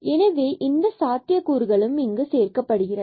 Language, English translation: Tamil, So, that possibility is also included